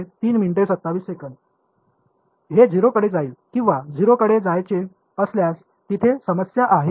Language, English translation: Marathi, It should go to 0 or well if it goes to 0 there is a problem